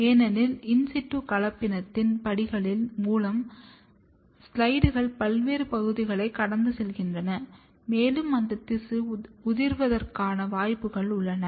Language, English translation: Tamil, Because, you have seen that through the steps of in situ hybridization, the slides goes through various amounts of steps and there is a chances of that tissue will fall off